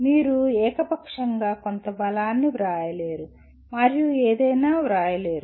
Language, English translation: Telugu, You cannot just write arbitrarily some strength and not write anything